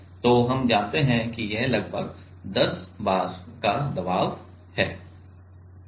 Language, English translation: Hindi, And we know that it is about 10 bar pressure